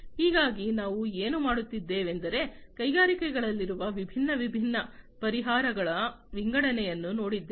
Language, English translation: Kannada, And so what we have done is we have gone through an assortment of different, different solutions that are there in the industries